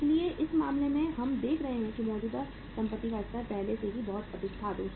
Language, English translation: Hindi, So in this case we are seeing that level of current assets was already very very high, 280